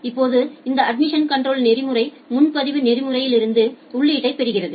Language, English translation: Tamil, Now, this admission control protocol get input from the reservation protocol